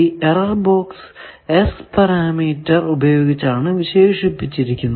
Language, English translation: Malayalam, Now that error box is characterized by S parameters